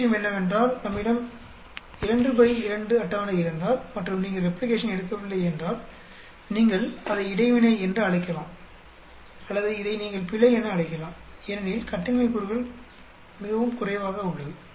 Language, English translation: Tamil, Other thing is if we have a 2 by 2 table and if you have not replicated then you can either call it interaction or you can call it error because the degrees of freedom are much less